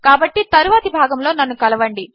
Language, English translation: Telugu, So join me in the next part